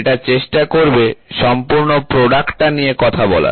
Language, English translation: Bengali, This will try to dictate or talk about the entire product